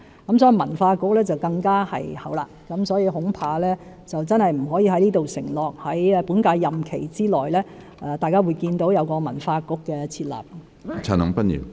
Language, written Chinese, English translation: Cantonese, 因此，文化局便要再後一點，我恐怕不可以在這裏承諾，在本屆任期內大家可以見到文化局的設立。, As a result the setting up of a Culture Bureau has to be addressed at an even later time . I am afraid I cannot commit here that a Culture Bureau will be established within this term